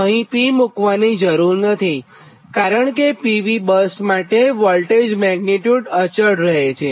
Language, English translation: Gujarati, no need to put p here because pv buses voltage magnitude remain constant, right